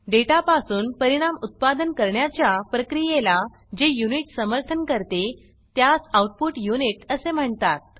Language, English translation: Marathi, The unit that supports the process of producing results from the data, is the output unit